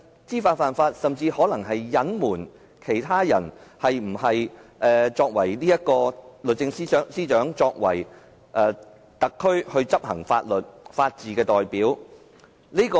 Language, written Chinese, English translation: Cantonese, 知法犯法，甚至可能隱瞞本身違法行為的人是否適合擔任律政司司長，代表特區執行法律、維護法治？, Is a person who has not only deliberately broken the law but also tried to conceal her illegal conduct still fit for the position of Secretary for Justice to enforce the law and safeguard the rule of law on behalf of the Special Administrative Region?